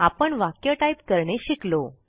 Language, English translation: Marathi, We have now learnt to type sentences